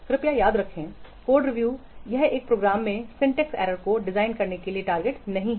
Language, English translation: Hindi, Please remember code review it does not target to design the syntax errors in a program